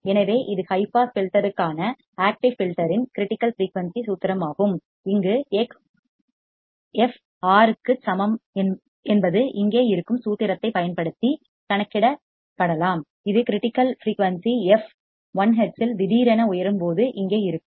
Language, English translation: Tamil, So, this is the critical frequency formula for an active filter for the high pass filter and here x equals to R can be calculated using the formula which is here when ideally the response rises abruptly at the critical frequency f l hz